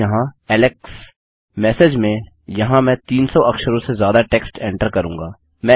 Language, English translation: Hindi, In message, Ill enter some text more than 300 characters long